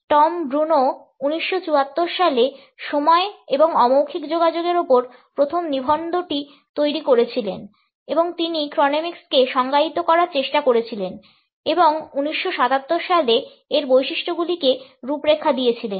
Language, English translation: Bengali, Tom Bruneau developed the first article on time and nonverbal communication in 1974 and he also attempted to define chronemics and outlined its characteristics in 1977